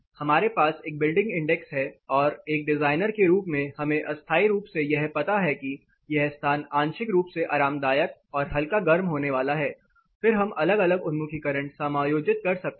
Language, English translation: Hindi, Based on this what inference we draw we have a building index and we tentatively know as a designer this space is going to be partly comfortable and slightly warm then we can try adjusting the orientations